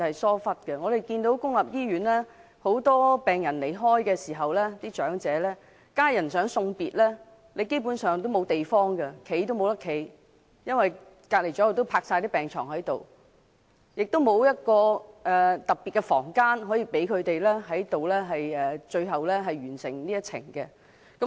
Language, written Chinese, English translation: Cantonese, 當身處公立醫院的長者病人離世時，他們的家人連送別及站立的地方也沒有，因為身旁已放滿病床，而且醫院不設特別房間，讓他們完成人生的最後一程。, When elderly patients in public hospitals are dying there is not even any space for their family members to bid farewell or stand because there are beds all around them . Moreover no special rooms are provided in hospitals for these patients in the final leg of their journey of life